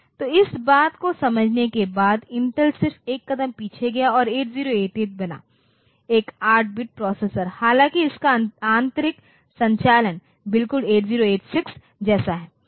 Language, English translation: Hindi, So, after I understanding this thing for Intel did is that they just went to one step back and make 8088, one 8 bit processor though its internal operation is exactly similar as 8086